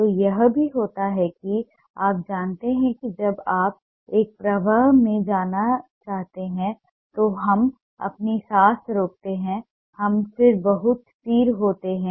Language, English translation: Hindi, so, ah, it also happens that you know when you want to go in a flow, we hold our breath and then go very steady